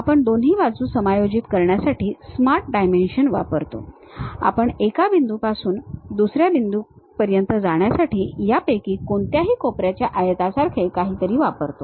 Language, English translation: Marathi, We use smart dimensions to adjust on both sides we use something like a any of these corner rectangle from one point to other point